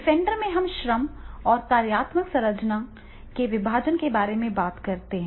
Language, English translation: Hindi, In defender, they were talking about that is a division of labor functional structure